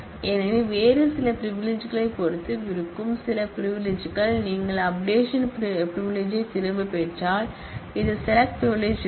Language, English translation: Tamil, So, some privilege which is dependent on some other privilege, if you revoke the update privilege then this select privilege will remain